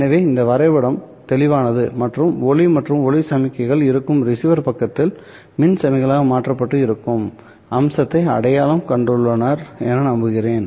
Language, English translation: Tamil, So I hope this diagram is clear and you have identified the feature that is present at the receiver side wherein light or light signals are converted into electrical signals